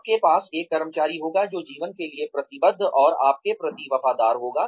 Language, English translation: Hindi, You will have an employee, who will be committed, and loyal to you, for life